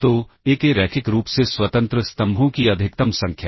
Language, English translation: Hindi, So, maximum number of linearly independent columns of A